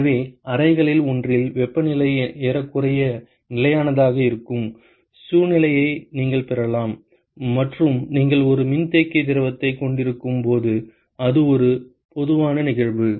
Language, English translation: Tamil, So, you can have a situation where the temperature is almost constant in the one of the chambers and that is a typical case when you have a condensing fluid